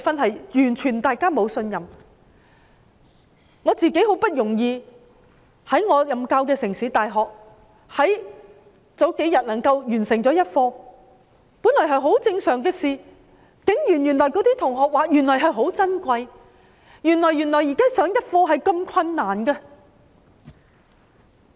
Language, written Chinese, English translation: Cantonese, 數天前，我很不容易在我任教的城市大學完成了一課，這本來是一件很正常的事情，但同學竟然說是很珍貴，原來現在能夠上一課是如此困難。, It was not easy for me to finish a lesson a few days ago at the City University of Hong Kong where I am teaching . This was originally a very normal class but the students said that it was very precious . It is now so difficult for us to have a lesson